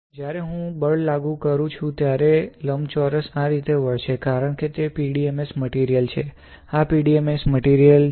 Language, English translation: Gujarati, When I apply a force, the rectangle will bend like this, since it is a PDMS material right, this is a PDMS material